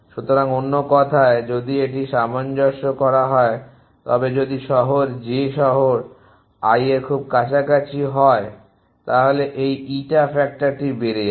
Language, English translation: Bengali, So, in other words if that the adjust very if the if the city j is very close to city i and this eta factor will shoot up